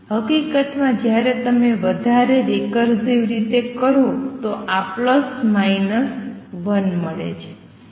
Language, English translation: Gujarati, In fact, when you do the more recursive this is also comes out to be plus minus 1